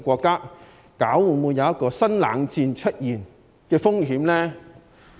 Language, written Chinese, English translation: Cantonese, 會否出現新冷戰的風險呢？, Will there be the risk of a new Cold War?